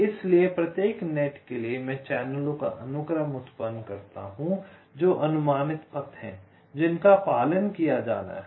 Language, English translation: Hindi, so for our, for each of the nets i generate ah sequence of the channels, are the approximate paths that are to be followed